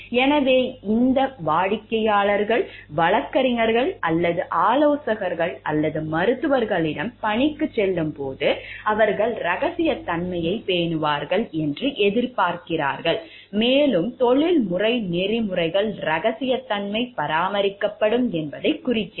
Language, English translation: Tamil, So, when that clients go to attorneys or task on consultants or even doctors, they expect them to maintain confidentiality, and the professional ethics indicate that confidentiality will be maintained